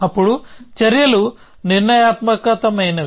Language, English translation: Telugu, Then the actions are deterministic